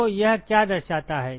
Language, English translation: Hindi, So, what does it reflect